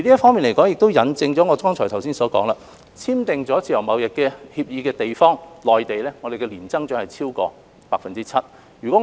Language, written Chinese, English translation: Cantonese, 這亦引證我剛才所言，與香港簽訂自由貿易協定的地方，例如內地，我們的年增長是超過 7%。, This supports my earlier remark that places that have signed FTAs with Hong Kong such as the Mainland have an annual trade growth of over 7 %